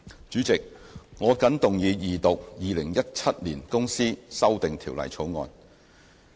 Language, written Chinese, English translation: Cantonese, 主席，我謹動議二讀《2017年公司條例草案》。, President I move the Second Reading of the Companies Amendment Bill 2017 the Bill